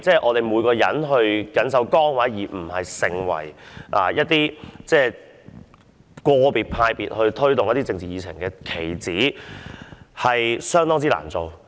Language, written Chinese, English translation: Cantonese, 我們要緊守崗位，不應成為個別黨派推動一些政治議程的棋子。, We have to perform our duties faithfully and refrain from become the pawns of any individual political party in promoting its political agenda